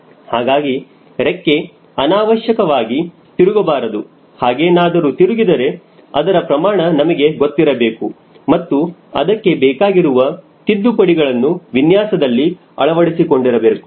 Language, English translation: Kannada, so the wing should not deflate unnecessarily or whatever deflections are there, we should be able to estimate it and apply appropriate corrections right in the design